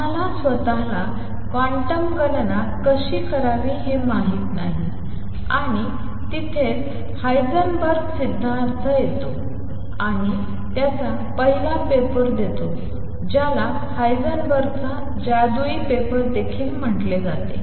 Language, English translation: Marathi, We do not know how to do quantum calculations themselves and that is where Heisenberg’s comes and gives his first paper which has also being called the magical paper of Heisenberg